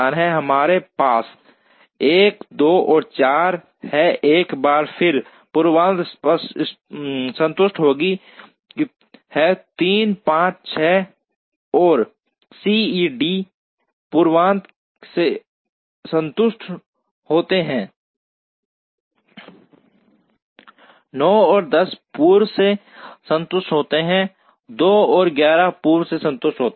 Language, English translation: Hindi, Where we have 1, 2 and 4, once again precedence are satisfied, 3, 5, 6 and 8 precedence are satisfied, 9 and 10 precedence are satisfied, 7 and 11 precedence are satisfied